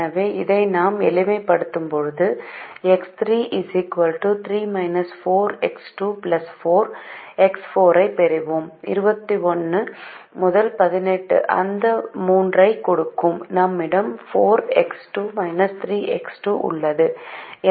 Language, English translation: Tamil, so when we do this simplification we will get: x three is equal to three minus three by four x two plus three by four x four